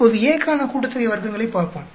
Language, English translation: Tamil, Now, let us look at the sum of squares for A